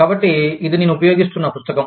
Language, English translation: Telugu, So, this is the book, that i am using